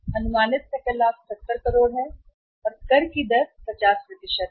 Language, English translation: Hindi, Estimated gross profit is 70 crores and tax rate is, tax rate is 50%